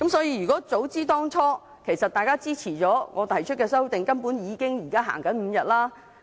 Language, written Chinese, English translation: Cantonese, 如果大家當初支持我提出的修訂，現在根本已經實行5天侍產假了。, If my amendment was supported back then five - day paternity leave would have been now implemented